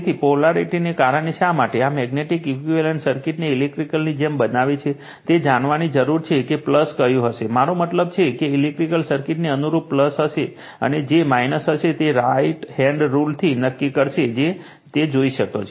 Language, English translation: Gujarati, So, the because the polarity why do you make this magnetic equivalent circuit like electrical, you have to know which will be the plus, I mean analogous to your electrical circuit will be plus and which will be minus that will actually from the right hand rule will be determinant we will see that